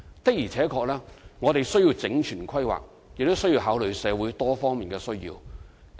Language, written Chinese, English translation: Cantonese, 我們確實需要整全規劃，亦需要考慮社會多方面的需要。, Indeed we need a comprehensive planning and have to take different needs of society into consideration